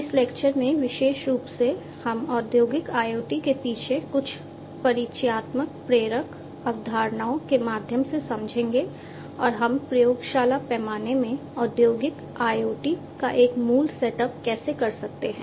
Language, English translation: Hindi, In this lecture, specifically, we will go through some of the introductory motivating concepts behind industrial IoT and how we can have a basic setup of industrial IoT in the lab scale